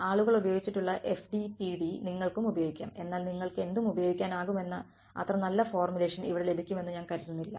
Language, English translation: Malayalam, So, you can use people have used FDTD also, but I do not think you get such a nice formulation over here you can use any